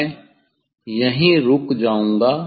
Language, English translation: Hindi, I will stop here